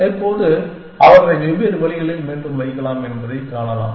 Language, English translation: Tamil, And now, we can see that we can put them back in different ways